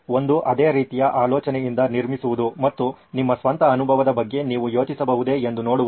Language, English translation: Kannada, One is to build on the same idea and see if you can think of your own experience